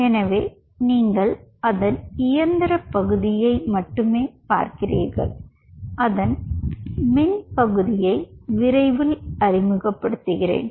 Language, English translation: Tamil, so here you only see the mechanical part of it and i will introduce the electrical part of it soon